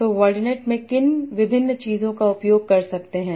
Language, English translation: Hindi, So what are the different things in word net I can use